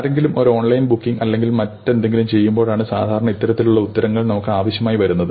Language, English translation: Malayalam, Remember that this kind of an answer is typically required when somebody is making an online booking or something